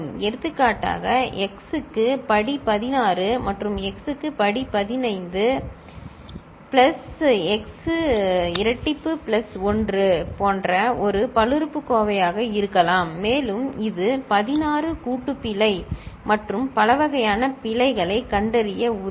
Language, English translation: Tamil, For example, x to the power 16 plus x to the power 15 plus x square plus 1 could be one such polynomial and it can detect up to 16 burst error and many other types of errors